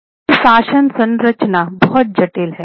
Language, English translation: Hindi, Now this is their governance structure, very complicated